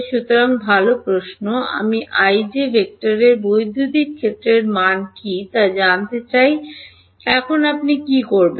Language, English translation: Bengali, So, good question I want to find out what is the value of the electric field at i comma j vector now what will you do